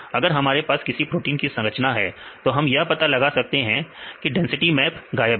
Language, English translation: Hindi, If we know the structure we can find here the density map is missing